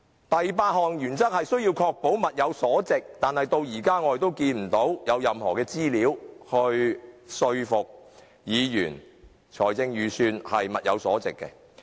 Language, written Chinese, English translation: Cantonese, 第八項原則是需要確保物有所值，可是至今我們仍看不到有任何資料能說服議員這份預算案能符合要求。, The eighth principle is about the need for ensuring value for money . Nevertheless to date we still cannot see any information which can convince Members that this Budget is in line with this requirement